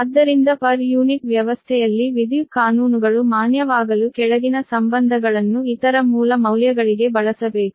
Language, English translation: Kannada, therefore, in order for electrical laws to be valid in the per unit system right, following relations must be used for other base values